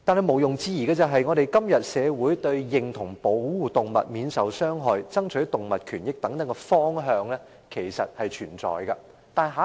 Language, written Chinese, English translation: Cantonese, 毋庸置疑的是，認同保護動物免受傷害、爭取動物權益等方向，在今天的香港社會是存在的。, There is no doubt that in todays Hong Kong society people do recognize the directions of protecting animals from harm striving for animal rights and so on